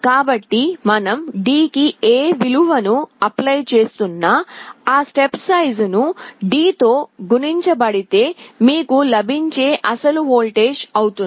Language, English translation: Telugu, So, whatever value you are applying to D, that step size multiplied by D will be the actual voltage you will be getting